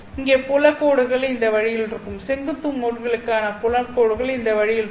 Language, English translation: Tamil, Here the field lines here would be in this way, the field lines for the vertical mode would be in this way